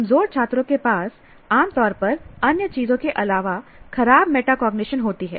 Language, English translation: Hindi, Weaker students typically have poor metacognition besides other things